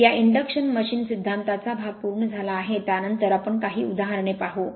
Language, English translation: Marathi, So, with this induction machine theory part is complete next we will see few examples